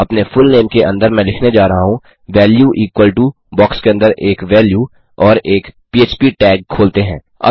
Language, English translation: Hindi, Under your fullname I am going to say value equal to a value inside the box and open up a phptag